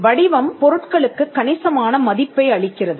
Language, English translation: Tamil, shape gives substantial value to the goods